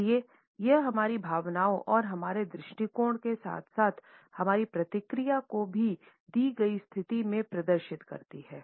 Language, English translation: Hindi, So, it showcases our feelings and our attitudes as well as our response in a given situation